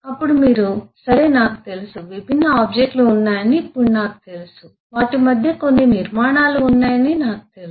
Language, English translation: Telugu, now, I know that there are different objects, I know that there are certain structure between them